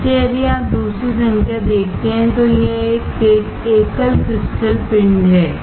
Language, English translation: Hindi, So, if you see second number, this is a single crystal ingot